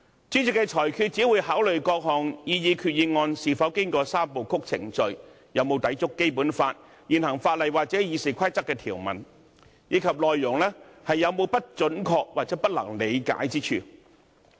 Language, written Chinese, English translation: Cantonese, 主席作出裁決時只會考慮各項擬議決議案是否經過"三部曲"程序，有否抵觸《基本法》、現行法例或《議事規則》的條文，以及內容有否不準確或不能理解之處。, When making a ruling the President will only consider whether the proposed resolutions have undergone the three - step procedure; whether they contravene the Basic Law the existing legislation or the provisions of the Rules of Procedure; and whether they contain any inaccurate or incomprehensible information